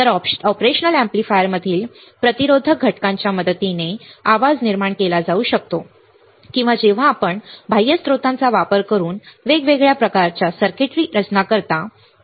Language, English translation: Marathi, So, the noise can be generated with the help by resistive components in the operational amplifier or it can be superimposed when you design the of different kind of circuit using external sources